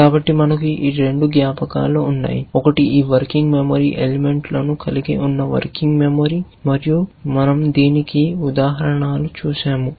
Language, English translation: Telugu, So, we have these two memories, one is the working memory which contains is working memory elements, and we saw examples of that